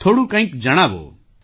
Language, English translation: Gujarati, Tell me a bit